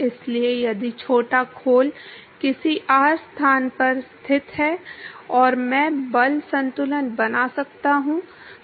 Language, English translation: Hindi, So, if the small shell is located at some r location and I can make a force balance